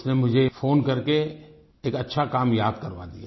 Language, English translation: Hindi, He called me up and reminded me of what I had said